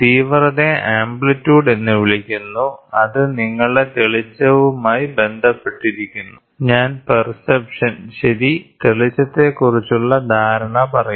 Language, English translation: Malayalam, So, intensity is otherwise called as amplitude, which relates to your brightness; I would say perception, right, perception of brightness